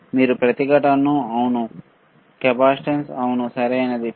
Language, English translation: Telugu, Can you measure resistance, yes capacitance yes, right